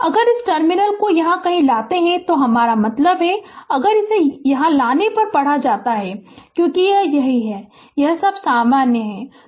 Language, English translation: Hindi, If you bring this terminal somewhere here ah I mean if you read on bring it here, then because this is this is this is all are common